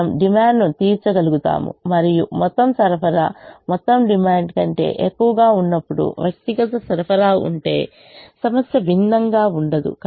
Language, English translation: Telugu, we will be able to meet the demand and the problem will not be different if the individual supplies were when the total supply is actually greater than the total demand